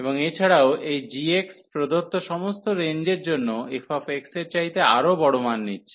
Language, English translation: Bengali, And also this g x is taking even larger values then f x for all the given range